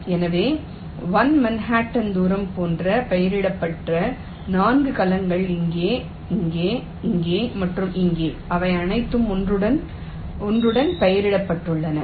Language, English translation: Tamil, so the four cells which are labeled, which are like a manhattan distance of one, are here, here, here and here they are all labeled with one